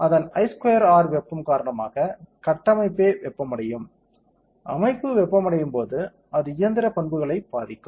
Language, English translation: Tamil, Because of that I square are heating, the structure itself will get heated up; when the structure gets heated up it will affect the mechanical properties